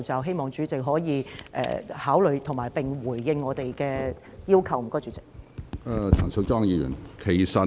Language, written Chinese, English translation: Cantonese, 希望主席考慮，並回應我們的要求，多謝主席。, I urge President to consider and respond to our request . Thank You President